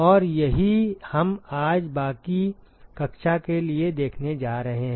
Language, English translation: Hindi, And that is what we are going to see for the rest of the class today